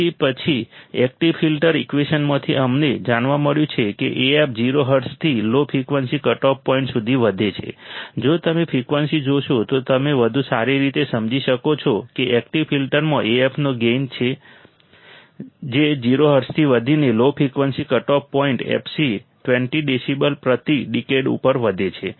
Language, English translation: Gujarati, So, then from the active filter equation, we have found that as Af increases from 0 hertz to low frequency cutoff point, if you see the screen, then you will understand better that active filter has a gain Af that increases from 0 hertz to low frequency cutoff point fc at 20 decibels per decade